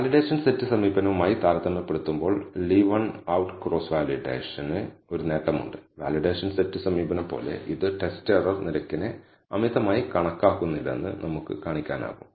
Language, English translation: Malayalam, So, Leave One Out Cross Validation has an advantage as compared to the valuation set approach, when to, we can show that it does not overestimate the test error rate as much as the validation set approach